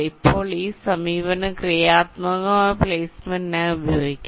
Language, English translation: Malayalam, now this approach can be used for constructive placement